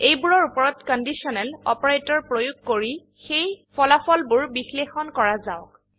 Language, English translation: Assamese, Lets apply conditional operators on them and analyse the results